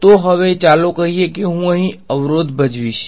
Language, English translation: Gujarati, So, now, let us say I play obstacle over here ok